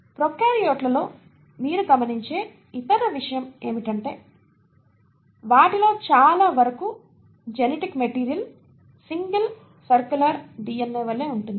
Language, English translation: Telugu, The other thing that you observe in prokaryotes is that for most of them genetic material exists as a single circular DNA